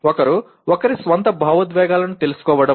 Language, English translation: Telugu, One is knowing one’s own emotions